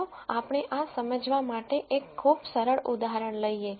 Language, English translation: Gujarati, Let us take a very simple example to understand this